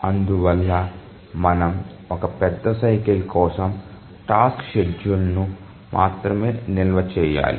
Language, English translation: Telugu, So, we need to store only the task schedule for one major cycle